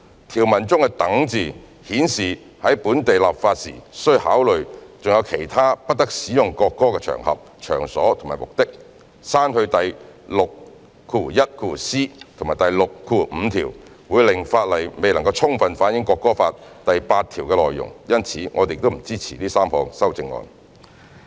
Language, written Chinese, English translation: Cantonese, "，條文中的"等"字顯示本地立法時須考慮還有其他不得使用國歌的場合、場所或目的，刪去第 61c 及65條，會令法例未能充分反映《國歌法》第八條的內容，因此我們不支持這3項修正案。, in the Chinese provision indicates that local legislation should also take into account other occasions places or purposes which the national anthem must not be used whereas the deletion of 61c and 65 will render Article 8 of the National Anthem Law not fully reflected in the Bill . Hence we do not support these three amendments